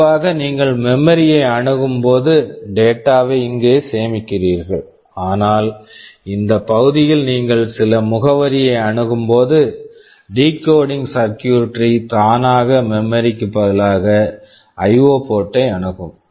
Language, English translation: Tamil, Normally when you access memory you store the data here, but when you are trying to access some address in this region there the were decoding circuitry which will automatically be accessing the IO ports instead of the memory